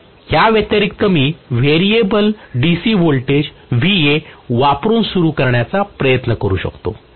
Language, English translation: Marathi, So apart from this I can also try to do starting using variable voltage that is variable DC voltage Va